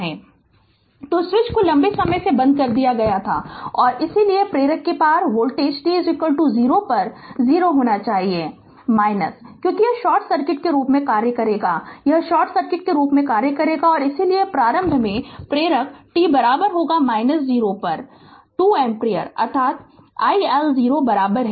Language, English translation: Hindi, So, the switch has been closed for a long time and hence the voltage across the inductor must be 0 at t is equal to 0 minus, because it will act as a short circuit it will act as a short circuit right and therefore the initially current in the inductor is 2 ampere at t is equal to minus 0 that is i L 0 is equal